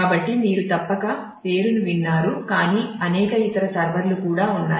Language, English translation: Telugu, So, which you must have heard the name of and there are, but there are several other servers as well